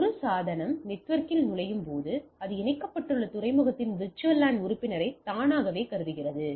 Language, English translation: Tamil, As a device enters the network, it automatically assumes the VLAN membership of the port to which it is attached